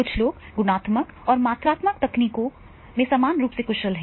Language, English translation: Hindi, Some people are equally efficient in the qualitative and quantitative technique